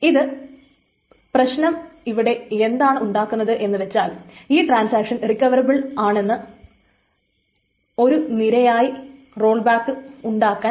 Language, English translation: Malayalam, Now the problem is even if a transaction is recoverable, there may be a series of rollbacks